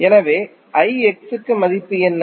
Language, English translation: Tamil, So, for I X what is the value